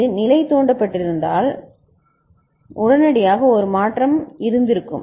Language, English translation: Tamil, Had it been level triggered, immediately there would been a change